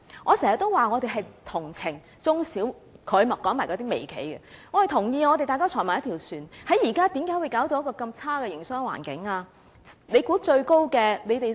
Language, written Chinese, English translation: Cantonese, 我經常說，我們是同情中小企的——他還提及那些微企——我們同意，大家坐在同一條船上，為何現在會弄得營商環境如此惡劣呢？, I often say that we are sympathetic with SMEs―and he also mentioned those micro enterprises―we agree that we are in the same boat so why has the business environment been reduced to such an adverse state?